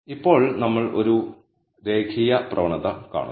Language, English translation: Malayalam, Now, we see a linear trend